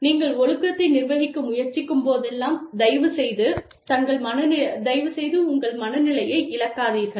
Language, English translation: Tamil, Whenever, you are trying to administer discipline, please do not, lose your temper